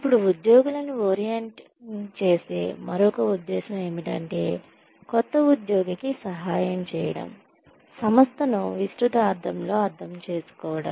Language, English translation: Telugu, Then, another purpose of orienting employees is, to help the new employee, understand the organization in a broad sense